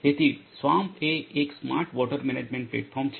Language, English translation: Gujarati, So, the SWAMP is a Smart Water Management Platform